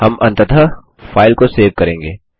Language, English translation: Hindi, We will finally save the file